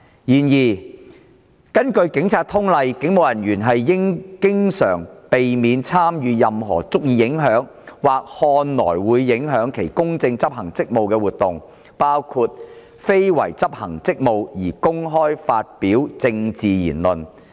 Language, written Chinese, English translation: Cantonese, 然而，根據《警察通例》，警務人員應經常避免參與任何足以影響或看來會影響其公正執行職務的活動，包括非為執行職務而公開發表政治言論。, However according to the Police General Orders a police officer should at all times abstain from any activity which is likely or appears to be likely to interfere with the impartial discharge of hisher duties including speaking publicly on matters of a political nature other than in the course of official duties